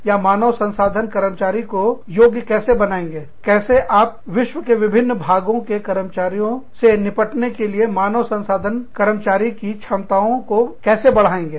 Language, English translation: Hindi, How do you enhance the capabilities, of the human resources staff, in dealing with the employees, in different parts of the world